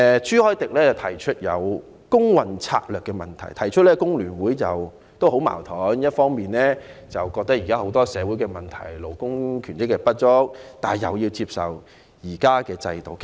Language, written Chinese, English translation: Cantonese, 朱凱廸議員提出工運策略的問題，指工聯會十分矛盾，一方面覺得現時有很多社會問題、勞工權益不足，但另一方面又要接受現時的制度。, Mr CHU Hoi - dick mentioned the issue of labour movement strategy . He said that FTU has been caught in a dilemma . While it thinks that there are many social problems and labour rights and interests are inadequate it has to accept the existing system